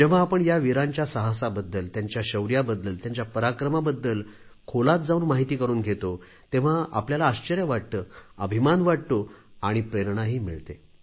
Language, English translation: Marathi, When we get to know the in depth details of their courage, bravery, valour in detail, we are filled with astonishment and pride and we also get inspired